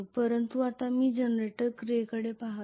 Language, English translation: Marathi, But right now I am essentially looking at the generator action